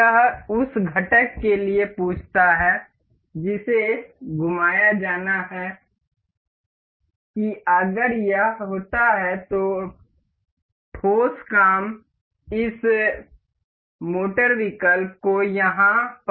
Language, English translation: Hindi, This asks for component which has to be rotated that if it were if it were, solid work features this motor option over here